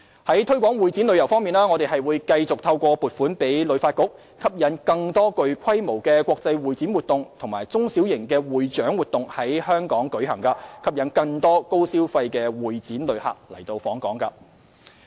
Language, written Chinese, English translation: Cantonese, 在推廣會展旅遊方面，我們會繼續透過向旅發局撥款，吸引更多具規模的國際會展活動及中小型會展及獎勵活動在港舉行，吸引更多高消費的會展旅客來港。, On the promotion of meeting incentive travels conventions and exhibitions MICE we will continue to earmark funding to HKTB to attract more large - scale international convention and exhibition activities and small and medium MICE activities with a view to attracting more high - spending convention and exhibition visitors to Hong Kong